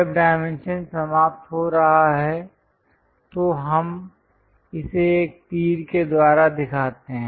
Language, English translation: Hindi, When dimension is ending, we show it by arrow